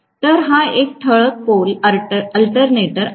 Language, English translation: Marathi, So this is a salient pole alternator